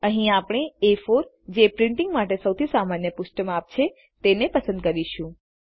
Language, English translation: Gujarati, Here we will choose A4 as this is the most common paper size used for printing